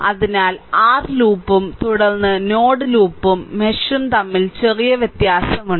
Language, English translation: Malayalam, So, this there is a slight difference between your loop and then node right loop and the mesh